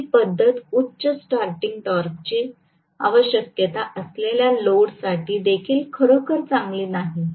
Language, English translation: Marathi, So, this method is also really not good, this method is also not good for loads requiring high starting torque